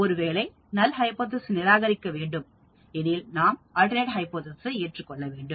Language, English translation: Tamil, If we fail to reject the null hypothesis, we cannot accept the alternate hypothesis